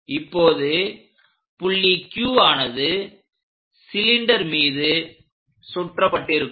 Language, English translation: Tamil, Now, point Q might be getting winded up on the cylinder